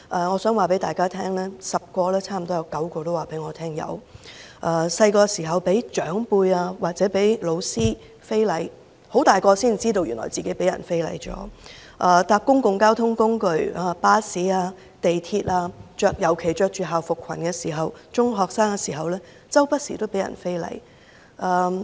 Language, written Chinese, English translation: Cantonese, 我想告訴大家 ，10 位女士之中，差不多有9位告訴我曾有這類經歷，例如小時候被長輩或教師非禮，到長大了才驚覺原來自己曾被人非禮；乘坐公共交通工具如巴士、地鐵，尤其是中學生穿着校服裙時，經常被人非禮。, I would like to tell Members that almost 9 out of 10 of these ladies tell me that they had have this kind of experience . For example some have been indecently assaulted by senior members of their families or teachers in childhood but only came to recognize the incidents as indecent assaults as an adult . Some of them especially those secondary school students in school dress are frequently subject to indecent assaults while taking public transport such as buses and the MTR